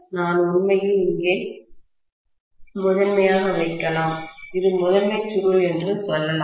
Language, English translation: Tamil, I may put actually primary here, let’s say this is the primary coil